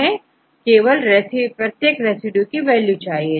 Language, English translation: Hindi, First we have to assign values for each of the residues